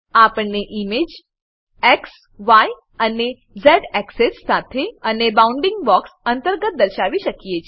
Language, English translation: Gujarati, We can display the image with X,Y and Z axes and within a bounding box